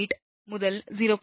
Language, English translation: Tamil, 8 to 0